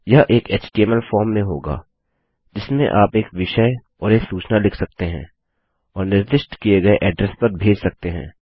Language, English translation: Hindi, This will be in an HTML form in which you can write a subject and a message and send to a specified address